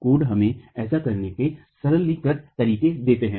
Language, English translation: Hindi, Codes give us simplified ways of doing this